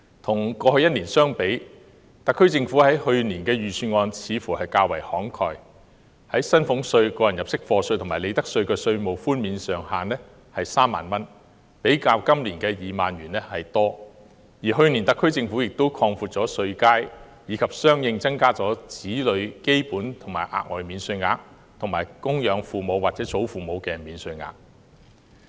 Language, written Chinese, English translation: Cantonese, 與去年相比，特區政府去年的預算案似乎較為慷慨，薪俸稅、個人入息課稅及利得稅的稅務寬免上限為3萬元，較今年的2萬元為多，而去年特區政府亦擴闊稅階，以及相應增加子女基本及額外免稅額，以及供養父母或祖父母的免稅額。, Compared with last year the Budget introduced by the SAR Government last year seems more generous with the reductions of salaries tax tax under personal assessment and profits tax capped at 30,000 which was more than the ceiling of 20,000 this year . And last year the SAR Government also widened the tax bands and increased the basic and additional child allowances and dependent parent or grandparent allowances accordingly